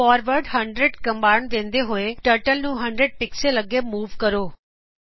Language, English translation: Punjabi, forward 100 commands Turtle to move forward by 100 pixels